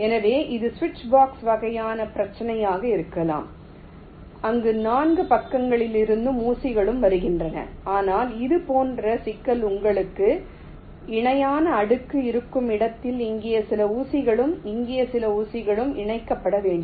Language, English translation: Tamil, so this can be a switch box kind of problem where pins are coming from all four sides, but problem like this where you have a parallel layers where some pins here and some pins here need to connected